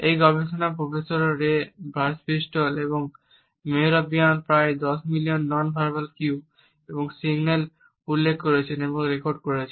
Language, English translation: Bengali, These researchers, Professor Ray Birdwhistell and Mehrabian noted and recorded almost a million nonverbal cues and signals